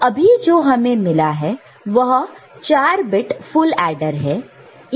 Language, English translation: Hindi, So, now what we have got, this is the 4 bit full adder